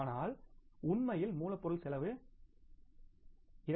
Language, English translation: Tamil, But if actually the cost would have been 2